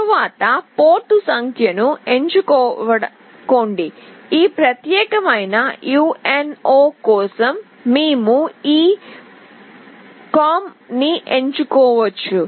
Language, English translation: Telugu, Next select the port number; we can select this COMM for this particular UNO